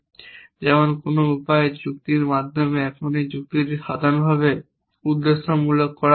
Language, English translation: Bengali, They can be done through other processes like reasoning in some way now can this reasoning be done in general purposely essentially